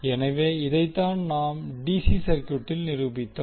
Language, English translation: Tamil, So, this is what we proved in case of DC circuit